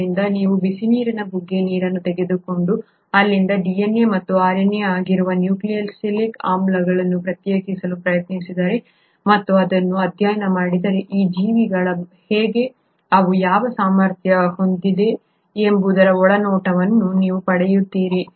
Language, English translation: Kannada, So if you take a hot water spring water and try to isolate nucleic acids which is DNA and RNA from there, and study it, you kind of get an insight into how these organisms are and what they are capable of